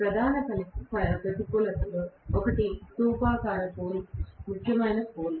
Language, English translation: Telugu, One of the major disadvantages is in cylindrical pole or salient pole